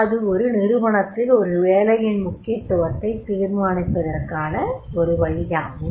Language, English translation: Tamil, It is a means of determining the relative importance of job in an organization